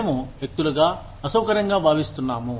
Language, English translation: Telugu, We as individuals, feel uncomfortable about